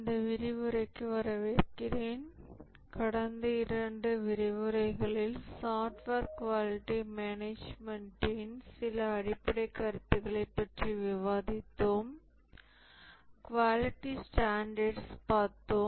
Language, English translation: Tamil, Over the last couple of lectures, we had discussed some basic concepts in software quality management and we had looked at quality standards